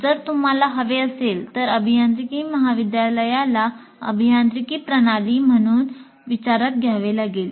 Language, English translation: Marathi, So if you want, one can consider engineering college as an engineering system and model it accordingly